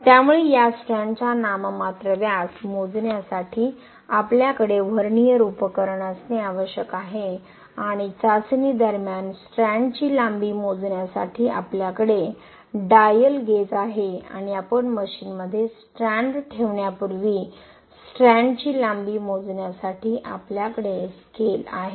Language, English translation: Marathi, So we need to have Vernier apparatus to measure the nominal diameter of this strand and we have dial gauge to measure the elongation of the strand during the testing and we have the scale to measure the length of the strand before we place the strands in the testing machine